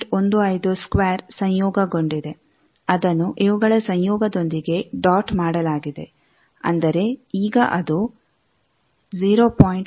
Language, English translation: Kannada, 15 square this conjugated a dotted with conjugate of these; that means, that will be 0